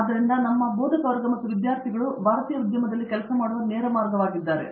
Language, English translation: Kannada, So that’s a direct way in which our faculty and students are working with the Indian industry